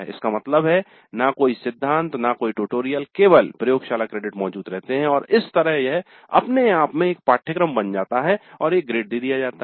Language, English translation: Hindi, That means typically no theory, no tutorials and only the laboratory credits are existing and that becomes a course by itself and is awarded a grade